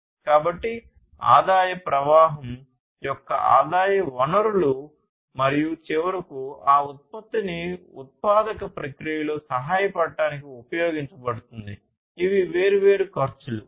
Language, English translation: Telugu, So, what are the different sources of the revenues that is the revenue stream and finally, that revenue is going to be used in order to help in the manufacturing process; incurring the different costs